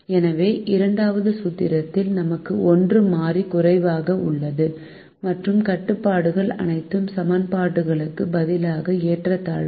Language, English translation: Tamil, so in second formulation we have one variable less and the constraints are all inequalities instead of an equation in the next class